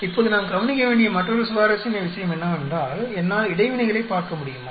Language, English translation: Tamil, Now another interesting point we need to consider is, can I look at interactions